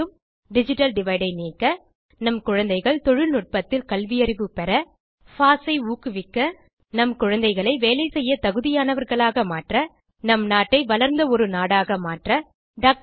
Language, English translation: Tamil, To remove digital divide To make our children IT literate To promote FOSS To make our children employable To make our country a developed one To realise the dream of Dr